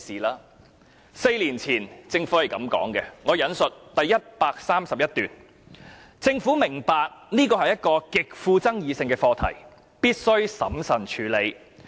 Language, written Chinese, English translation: Cantonese, 政府在4年前是這樣說的，我引述第131段："政府明白這是一個極富爭議性的課題，必須審慎處理。, This is what the Government said in paragraph 131 of LEUNGs policy address four years ago The Government understands that this is a highly controversial issue which must be tackled cautiously